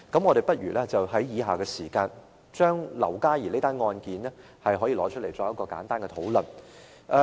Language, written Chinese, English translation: Cantonese, 我們不如在以下時間，提出劉嘉兒這宗案件，作一個簡單的討論。, Let us take a look at the case concerning LAU Ka Yee Michael and discuss it briefly below